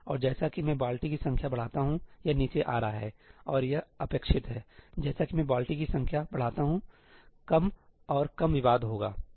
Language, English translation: Hindi, And as I increase the number of bucket, this is coming down, and that is expected; as I increase the number of buckets, there will be less and less contention